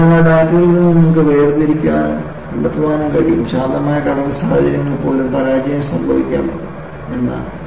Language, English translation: Malayalam, So, from that data, you are able to segregate and find out, even under calm sea conditions, failure could happen and it has happened